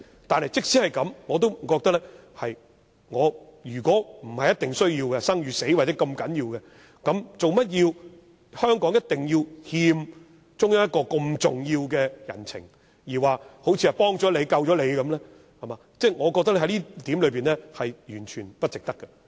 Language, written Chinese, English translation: Cantonese, 但是，即使這樣，我覺得如果不是必須，不是生與死這麼重要的話，為甚麼香港一定要欠中央一個這麼重要的人情，好像幫了我們、救了我們般，我覺得在這點上，完全不值得。, But to me if it is not a matter of importance a matter of life and death why we Hong Kong has to owe the Central Authority an important favour as if it has helped and save us . I deem it totally unworthy to do so